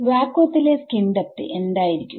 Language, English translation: Malayalam, What is the skin depth of vacuum